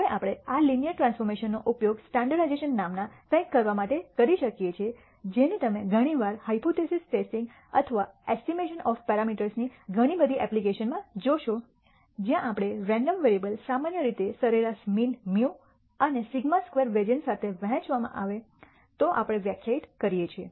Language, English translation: Gujarati, Now we can use this linear transformation to do something called standardization, which you will see often in many many application of hypothesis testing or estimation of parameters, where we simple define if a random variable is normally distributed with mean mu and sigma squared variance